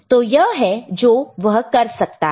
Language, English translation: Hindi, So, this is what it can do, ok